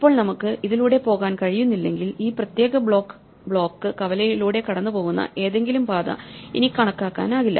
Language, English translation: Malayalam, Now, if we cannot go through this then any path which goes through this particular block intersection should no longer be counted